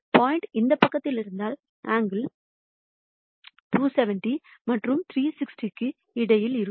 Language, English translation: Tamil, And if the point is in this side the angle is going to be between 270 and 360